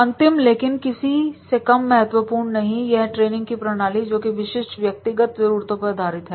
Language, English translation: Hindi, Now the last but not the least is, very important training method and that is the specific based on the specific individual needs